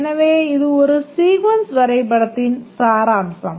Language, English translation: Tamil, So, this is the essence of a sequence diagram